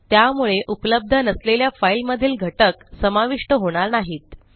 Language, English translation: Marathi, So the content of the file which doesnt exist, wont be included